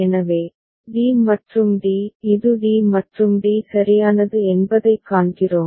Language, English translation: Tamil, So, we see that d and d this is d and d right